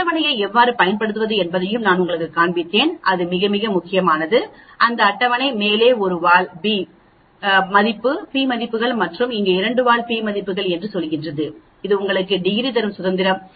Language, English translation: Tamil, I also showed you the table how to use the table and that is very, very important, that table it tells you the p values for one tail on the top and the p values for a two tail here and this one gives you the degrees of freedom